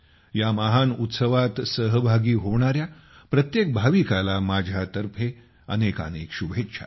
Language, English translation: Marathi, My best wishes to every devotee who is participating in this great festival